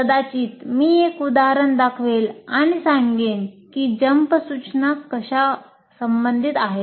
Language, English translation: Marathi, Maybe I will show an example and say this is how the jump instruction is relevant